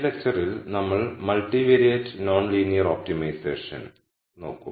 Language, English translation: Malayalam, In this lecture we will look at multivariate optimization non linear optimization